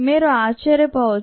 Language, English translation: Telugu, you might be surprised